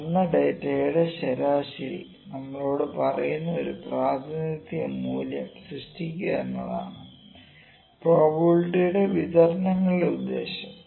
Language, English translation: Malayalam, The purpose of probability distributions, purpose is a single representative value would that that tells us the average of the measure data